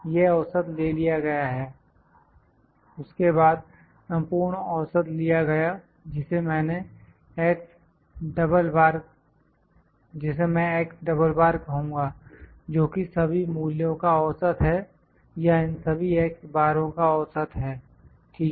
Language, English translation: Hindi, This mean is taken then the overall mean which I call it x double bar is the mean of all the values or mean of these x Bars, ok